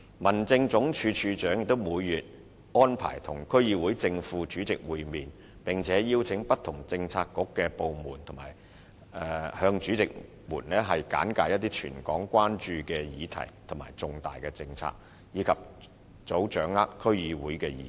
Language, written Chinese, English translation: Cantonese, 民政總署署長也會每月安排與區議會正、副主席會面，並邀請不同政策局及部門向主席們簡介一些全港關注的議題和重大政策，以及早掌握區議會的意見。, The Director of Home Affairs will also arrange for monthly meetings with the Chairman and Vice Chairman of DCs and invite various Policy Bureaux and departments to brief the Chairmen on issues of territory - wide concern and major policies so as to expeditiously gauge the views of DCs